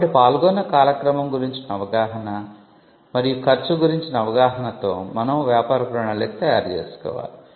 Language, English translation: Telugu, So, an understanding of the timeline involved, and the cost involved is something what we call a business plan